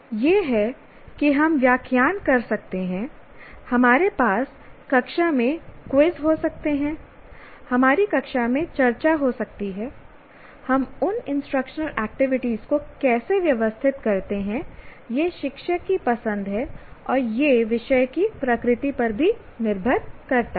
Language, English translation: Hindi, That is, we may lecture, we may have some quizzes in the class, we may have discussions in the class, how we organize those instructional activities is the choice of the teacher